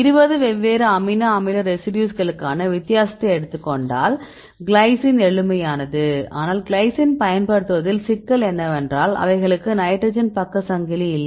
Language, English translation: Tamil, Right, because we can see the difference because if you take 20 different amino acid residues glycine is the simplest one, but the problem with using Glycine is there is no side chain hydrogen is side chain